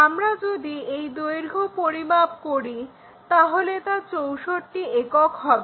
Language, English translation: Bengali, If we measure that, it will be 61, 2, 3, 4, 64 units